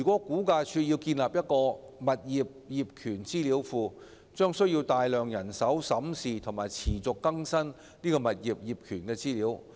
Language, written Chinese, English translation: Cantonese, 估價署如要建立一個物業業權資料庫，將需要大量人手審視及持續更新物業業權資料。, If RVD is going to build up a property ownership database a lot of manpower will be required to examine and continually update property ownership information